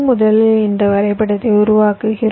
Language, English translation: Tamil, we first construct this graph